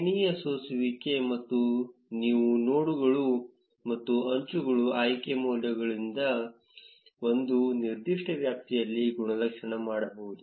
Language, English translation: Kannada, With the range filter, you can select nodes and edges with attribute values in a particular range